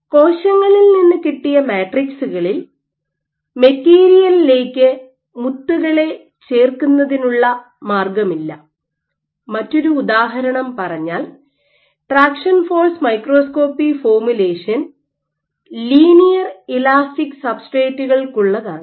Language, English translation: Malayalam, Or let us say on cell derived matrices, so where there is no way of adding beads into the material, or one more example is if your material is non linearly elastic because the formulation for traction force microscopy assumes linear elastic substrates